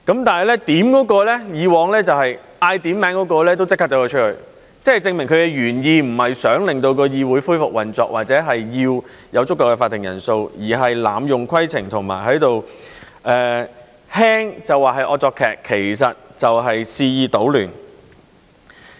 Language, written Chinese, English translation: Cantonese, 但是，以往提出點算人數的人卻立即離開，這證明其原意並非想令議會恢復運作或者有足夠的法定人數，而是濫用規程，輕的話就是惡作劇，其實就是肆意搗亂。, However those Members who called for a quorum left immediately proving that their original intention was not to resume the operation of the Council or to have a quorum but to abuse points of order . It is a prank to put it mildly or as a matter of fact this wreaks havoc